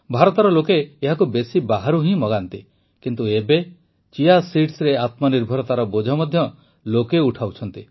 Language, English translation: Odia, In India, it is mostly sourced from abroad but now people are taking up the challenge to be selfreliant in Chia seeds too